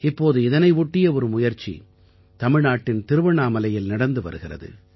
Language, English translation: Tamil, Now one such effort is underway at Thiruvannamalai, Tamilnadu